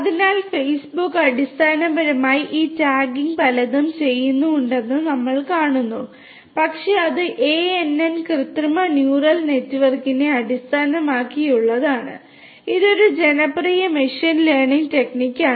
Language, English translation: Malayalam, So, you know behind the scene we see that Facebook basically does lot of these tagging, but that is based on ANN – artificial neural network which is a popular machine learning technique